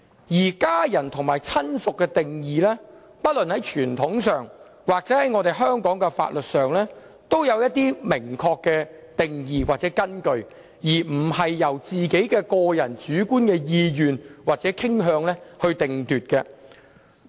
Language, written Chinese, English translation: Cantonese, 至於家人或親屬的定義，在傳統和香港法律上均有一些明確的定義或根據，並非由個人主觀意願或傾向界定。, As for the definition of family or relatives there are certain clear definitions or bases according to our tradition and the laws of Hong Kong which should not be defined by the subjective will or orientation of individuals